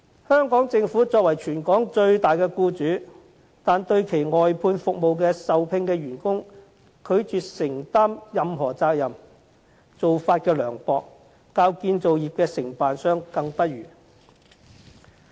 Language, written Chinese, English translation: Cantonese, 香港政府作為全港最大的僱主，但對其外判服務的受聘員工卻拒絕承擔任何責任，做法之涼薄較建造業的承辦商更不如。, The Hong Kong Government being the biggest employer in Hong Kong nevertheless refused to take up any responsibility for employees of its outsourced services . The Government is so mean that it even fares worse than contractors in the construction industry